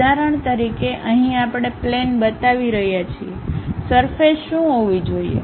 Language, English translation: Gujarati, For example, here we are showing an aircraft, what should be the surface